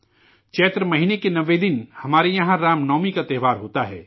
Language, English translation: Urdu, On the ninth day of the month of Chaitra, we have the festival of Ram Navami